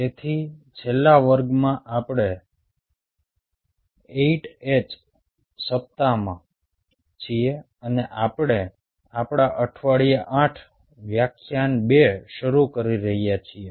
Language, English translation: Gujarati, so in the last class we are into the eighth week, and, ah, we are starting our week eight, lecture two